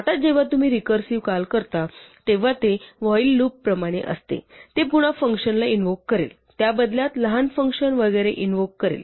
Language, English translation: Marathi, Now whenever you do a recursive call like this, it is like a while loop; it will invoke the function again, that in turn will invoke a smaller function and so on